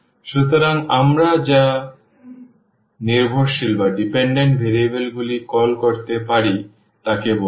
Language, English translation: Bengali, So, this is; so, called the dependent variables we can call